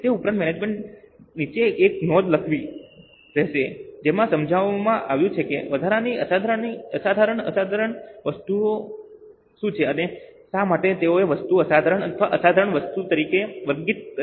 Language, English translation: Gujarati, In addition to that, management will have to write a note below explaining what is an exceptional, extraordinary item and why they have categorized that item as exceptional or extraordinary